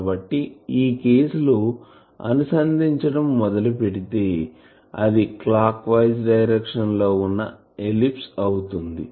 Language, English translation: Telugu, So, you see in this case it is tracing an ellipse in a clockwise direction